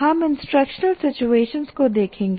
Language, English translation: Hindi, So we look at what we call instructional situations